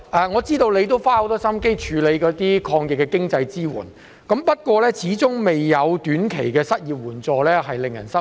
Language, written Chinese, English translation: Cantonese, 我知道特首花了很多心思處理抗疫的經濟支援措施，不過始終未有推出短期的失業援助，實在令人失望。, I am aware that the Chief Executive has put a lot of thought into the financial support measures to fight the epidemic but it is really disappointing that short - term unemployment assistance has not been introduced